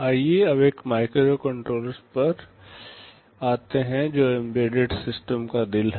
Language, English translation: Hindi, Now, let us come to microcontrollers that are the heart of embedded systems